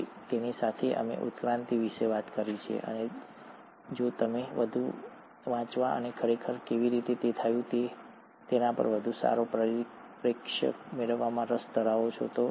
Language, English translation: Gujarati, So with that, we have talked about evolution, and if you are interested to read more and get a better perspective on how it actually happened